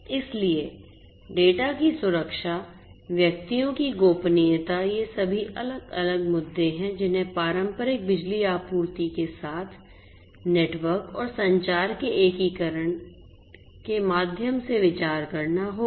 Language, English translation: Hindi, So, security of the data privacy of the individuals so, these are all different different issues that will have to be considered through the integration of network and communication with the traditional power supply